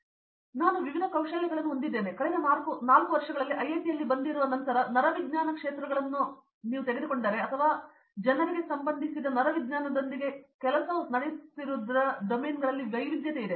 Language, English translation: Kannada, So, I have a lot of different skill sets and after coming here in the last 4 years at IITM, I had a broad idea of what are the different areas in which if you take neuroscience, there are people the range of fields or the range of domains in which work is happening with respect neuroscience is very varied